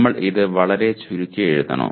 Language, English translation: Malayalam, Should we write very briefly